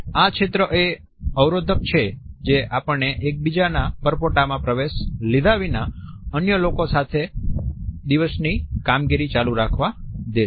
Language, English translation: Gujarati, This is the buffer which allows us to continue our day to day functioning along with others without intruding into each other’s bubble